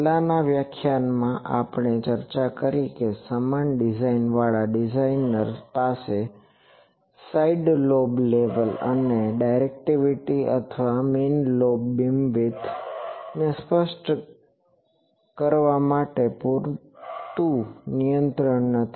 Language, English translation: Gujarati, In the previous lecture, we have discussed that an uniform array a designer does not have sufficient control to specify the side lobe level and the directivity or the main lobe beam width